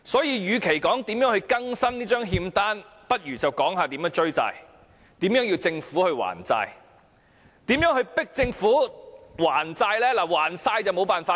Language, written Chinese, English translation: Cantonese, 與其說如何更新這張欠單，倒不如探討如何追債，如何迫使政府還債？, Instead of updating the IOU we might as well explore ways to recover the existing debts . How can we demand the Government to pay off the debt?